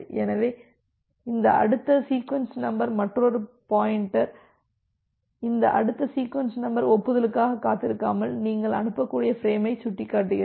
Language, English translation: Tamil, So, this next sequence number this is another pointer so, this next sequence number points to the frame which you can send without waiting for the acknowledgement